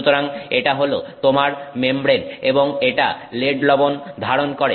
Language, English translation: Bengali, So, this is your membrane and it contains lead salt